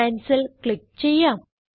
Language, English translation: Malayalam, I will click on Cancel